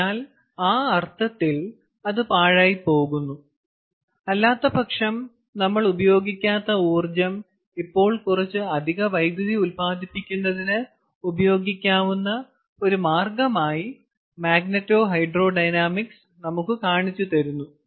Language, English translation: Malayalam, ok, so in that sense it is waste heat, and magneto hydro dynamics shows us a way by which that energy, which, uh, otherwise we would not have utilized, can now be utilized for generation of some additional electricity